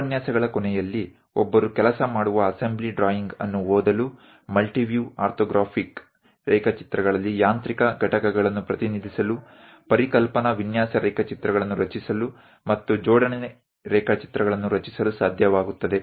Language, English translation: Kannada, At the end of the lectures, one would be able to read a working assembly drawing, represent mechanical components in multiview orthographics, create conceptual design sketches, and also create assembly drawings